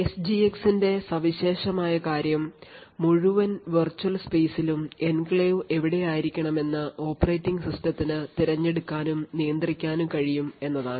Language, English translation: Malayalam, Now the unique thing about the SGX is that the operating system can choose and manage where in the entire virtual space the enclave should be present